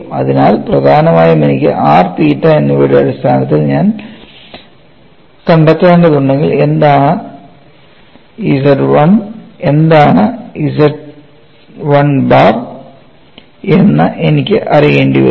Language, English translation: Malayalam, So, essentially I will have to know, if I have to find out in terms of r and theta, I will have to know what is what is Z 1 and what is Z 1 bar